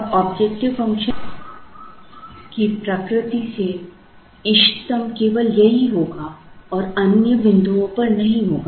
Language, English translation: Hindi, Now, by the nature of the objective function the optimum will happen only here and will not happen at other points